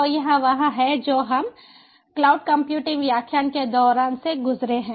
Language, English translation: Hindi, so this is what we have gone through in the during the cloud computing ah lecture